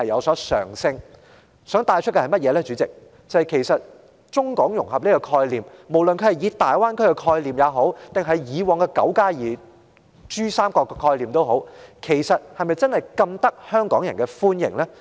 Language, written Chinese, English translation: Cantonese, 我想帶出的問題是，主席，其實中港融合的概念，不是大灣區或以往的泛珠三角區域合作的概念，是否真的受香港人歡迎呢？, President I just want to raise a query here Is the concept of Mainland - Hong Kong integration including the notion of the Greater Bay Area and that of the Pan - Pearl River Delta Regional Cooperation 92 genuinely welcomed by the people of Hong Kong?